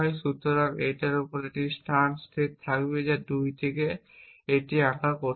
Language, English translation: Bengali, So, I will have a clause a state space here it 2 difficult to draw,